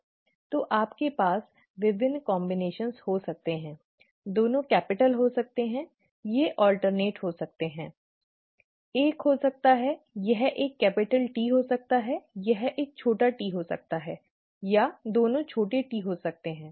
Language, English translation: Hindi, So you could have various combinations, both could be capital; they could be alternate, one could be, this one could be T, this one could be small t, this one could be small t, this one could be T, or both could be small ts